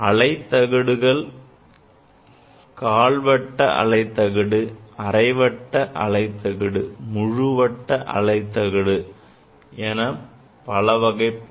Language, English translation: Tamil, There are different kind of wave plates: the quarter wave plate, the half wave plate, and the full wave plate